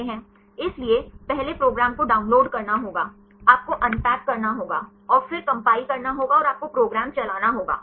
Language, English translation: Hindi, So, first it requires to download the program, you need to unpack and then to compile and you got to run the program